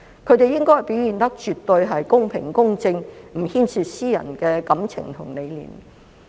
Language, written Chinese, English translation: Cantonese, 他們應該表現得絕對公平、公正，不牽涉私人感情和理念。, They should be absolutely fair and impartial and avoid putting in any personal feelings and ideas